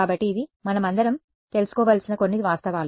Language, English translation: Telugu, So, this is just some facts which we should all know